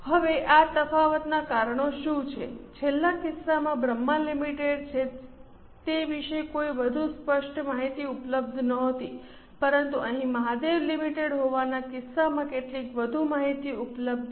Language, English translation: Gujarati, Now, what are the causes of this difference in the last case that is Brahma Limited no more information was available but here in case of Mahadev Limited some more information is available